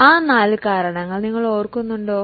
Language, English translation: Malayalam, Do you remember those four reasons